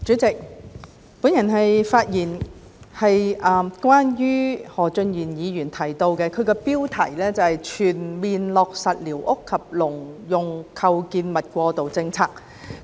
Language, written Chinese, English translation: Cantonese, 主席，我的發言是關於何俊賢議員提出標題為"全面落實寮屋及農用構築物過渡政策"的議案。, President I am speaking on the motion titled Fully implementing the interim policies for squatter structures and agricultural structures moved by Mr Steven HO